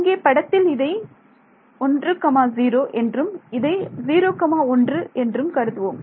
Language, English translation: Tamil, Let us call this 1, 0 and call this 0, 1